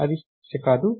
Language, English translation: Telugu, Thats not a problem